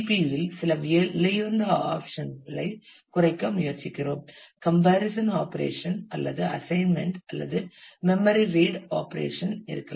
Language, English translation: Tamil, We try to minimize certain expensive operations in the CPU; say the comparison operation or the assignment or may be the memory read operation